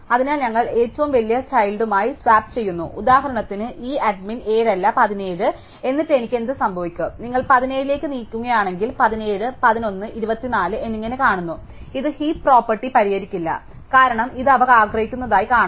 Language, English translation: Malayalam, So, we swap with the largest child, suppose for instance that this had been not 7, but 17 then what could have happened, if you are move 17 up his viewed about 17 the 11 and 24 and this would not a fix the heap property, because this would still be wrong